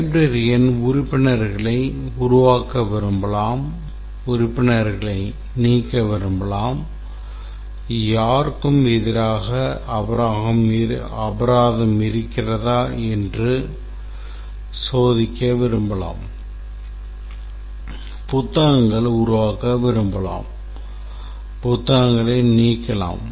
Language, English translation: Tamil, The librarian might like to create members, might like to delete members, might like to check if there is fine against anybody, might like to create books, delete books, etc